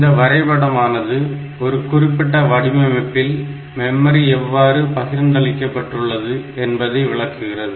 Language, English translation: Tamil, So, this memory map, this tells like how this memory is distributed for a particular design